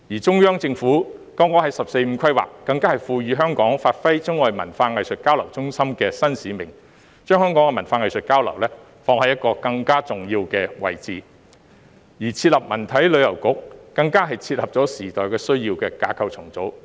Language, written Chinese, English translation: Cantonese, 中央政府更剛在"十四五"規劃中，賦予香港發揮中外文化藝術交流中心的新使命，將香港的文化藝術交流，放在一個更加重要的位置，而設立文體旅遊局更是切合時代需要的架構重組。, In the recent 14 Five - Year Plan the Central Government has given a new mission to Hong Kong which will serve as a Chinese - Western cultural and arts exchange centre thus placing the cultural and arts exchange of Hong Kong in a more significant position . And the establishment of a culture sports and tourism bureau will be a right move in structural reorganization to meet the needs of the times